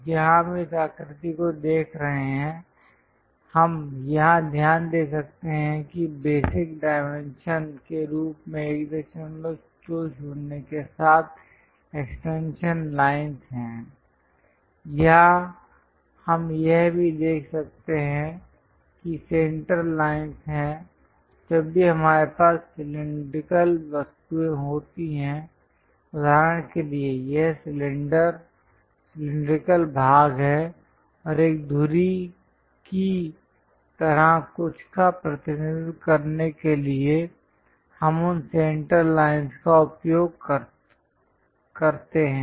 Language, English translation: Hindi, 20 as the basic dimension, here also we can see that there are center lines whenever we have cylindrical objects for example, this is the cylinder, cylindrical portions and would like to represent something like an axis we use that center lines